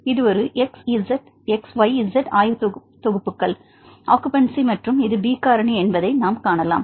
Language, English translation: Tamil, So, we can see this is a xyz coordinates is occupancy and here this is the B factor